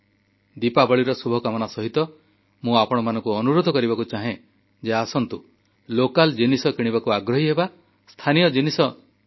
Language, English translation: Odia, Hence along with the best of wishes on Deepawali, I would urge you to come forward and become a patron of local things and buy local